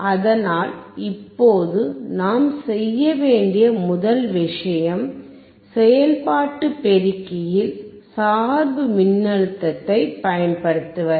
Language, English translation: Tamil, So now, first thing that we have to do is to apply the bias voltage to the operation amplifier